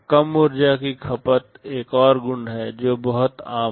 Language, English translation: Hindi, Low energy consumption is another property which is pretty common